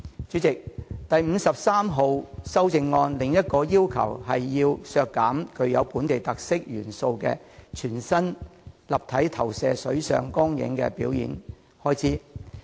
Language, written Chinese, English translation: Cantonese, 主席，這項修正案提出的另一項建議，是削減具本地特色元素的全新立體投射水上光影表演的全年預算開支。, Chairman this amendment also proposes to cut the estimated annual expenditure for the staging of a new 3D projection - cum - water light show with local elements